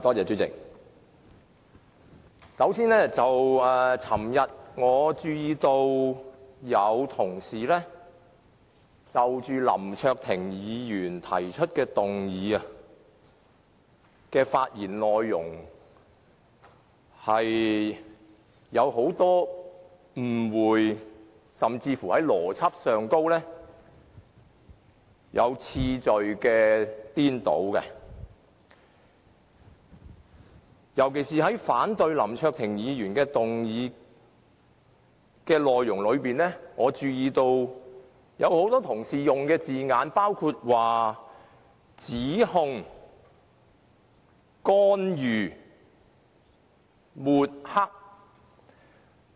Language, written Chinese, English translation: Cantonese, 主席，首先，我注意到昨天有些同事就林卓廷議員提出的議案的發言內容有很多誤會，甚至在邏輯和次序上出現顛倒，尤其是在反對林卓廷議員的議案時，我留意到有很多同事用了以下的字眼，包括：指控、干預、抹黑。, President to begin with I noticed a great deal of misunderstanding or even illogicality and erroneous causal reasoning in some Members remarks concerning the motion moved by Mr LAM Cheuk - ting yesterday . In particular I noticed that when these Members expressed their disapproval of Mr LAM Cheuk - tings motion many of them used these words accusation intervention and tarnishing